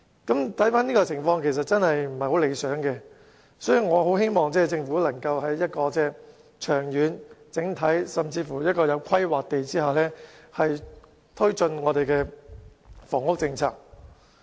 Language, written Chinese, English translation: Cantonese, 如此看來，情況確實並不理想，所以我很希望政府可以長遠、整體及有規劃地推進房屋政策。, This shows that the situation is undesirable and I eagerly hope that the Government can take forward the housing policy in a long - term comprehensive and well - planned manner